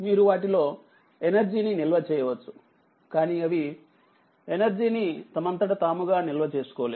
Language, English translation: Telugu, They you can store energy in them, but they cannot store energy